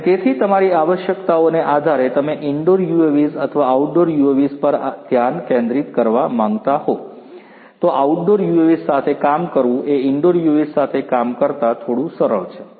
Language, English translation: Gujarati, And you know so depending on your requirements you might want to focus on indoor UAVs or outdoor UAVs, working with outdoor UAVs is bit easier than working with indoor UAVs